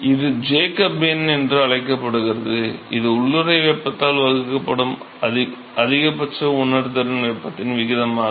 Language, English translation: Tamil, So, this is called the Jacob number, that is the ratio of maximum sensible heat divided by latent heat